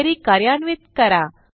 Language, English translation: Marathi, Let us run the query